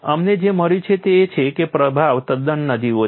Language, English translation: Gujarati, What we have found is the influence is quite marginal